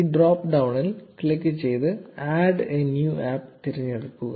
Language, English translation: Malayalam, Click on this drop down and select ‘Add a New App’